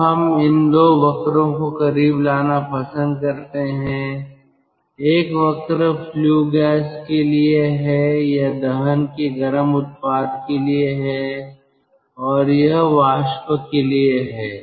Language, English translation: Hindi, one curve is for flue gas, this is for flue gas or hot product of combustion, and this is for steam